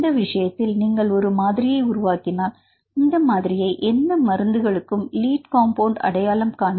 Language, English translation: Tamil, In this case if you generate a model, then this model could be used as a potential target for identifying the lead compounds for any drugs